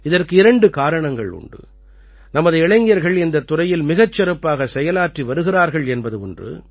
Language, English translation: Tamil, There are two special reasons for this one is that our youth are doing wonderful work in this field